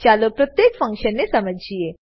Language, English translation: Gujarati, Let us understand each function